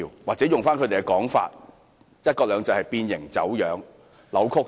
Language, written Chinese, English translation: Cantonese, 以他們的用語來說，"一國兩制"已變形走樣。, One country two systems has been―to borrow their own words―deformed and distorted